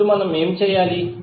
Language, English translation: Telugu, Now what we have to do